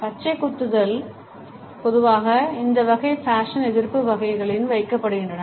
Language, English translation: Tamil, Tattoos are normally put in this category of anti fashion